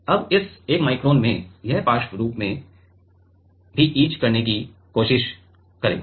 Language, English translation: Hindi, Now, in this 1 micron, it will try to etch laterally also right